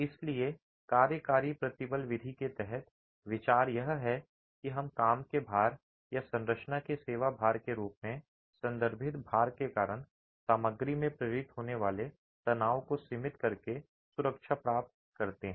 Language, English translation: Hindi, So, under the working stress approach, the idea is that we achieve safety by limiting the stresses that are induced in the material due to the loads referred to as the working loads or the service loads of the structure itself